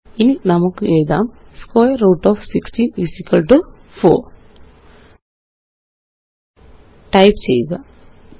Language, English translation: Malayalam, Now let us write square root of 16 = 4 Type 3